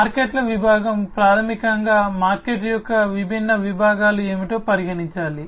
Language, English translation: Telugu, Markets segment basically talks about what are the different segments of the market that has to be considered